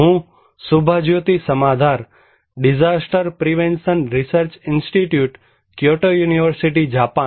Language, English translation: Gujarati, I am Subhajyoti Samaddar from disaster prevention research institute, Kyoto University, Japan